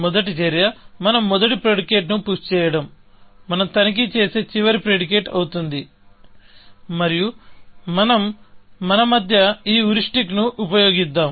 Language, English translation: Telugu, So, the first action, the first predicate we push, will be the last predicate we will check, and let us use this heuristic between ourselves